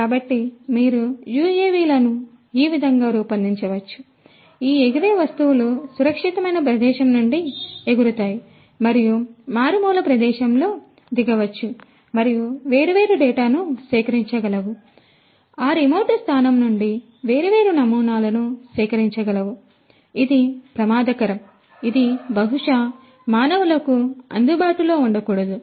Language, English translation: Telugu, So, you UAVs could be designed in such a manner, that these flying objects would fly from a safer location, and land up in a remote location and could collect different data could collect different samples from that remote location, which presumably is hazardous, which presumably cannot be made accessible to humans and so on